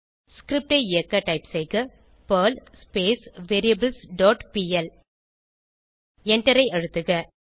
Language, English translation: Tamil, Now lets execute the Perl script by typing perl variables dot pl and press Enter